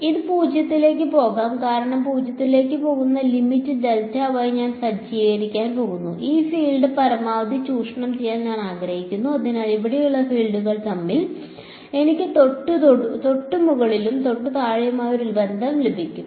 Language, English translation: Malayalam, It is going to go to 0, because I am going to set the take the limit that delta y is going to 0 I want to squeeze this field as much as possible so I get a relation between the fields here just above and just below